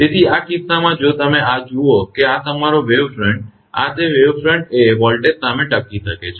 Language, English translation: Gujarati, So, in this case if you look into this that your wave front, this is that wave front withstand voltage